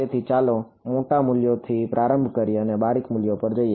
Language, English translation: Gujarati, So, this is let us start with the large values and go to finer values right